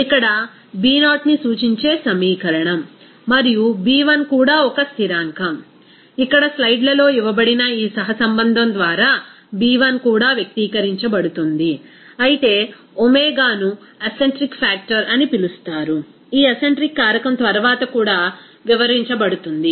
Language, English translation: Telugu, This is the equation to represent is B0 here and B1 also is one constant, that B1 also is expressed by this correlation given here in the slides, whereas you know that omega is called acentric factor, this acentric factor will be described later on also